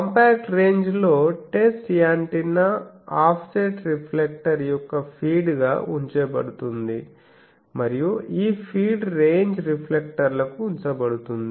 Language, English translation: Telugu, In compact range what the, it is run the test antenna is put as a feed of an offset reflector and this feed is put to a range reflector